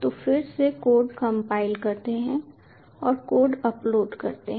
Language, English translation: Hindi, we restart the code, so we again compile the code and upload the code